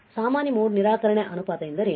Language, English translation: Kannada, What is common mode rejection ratio